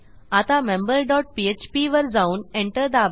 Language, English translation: Marathi, Now as weve created member dot php, press Enter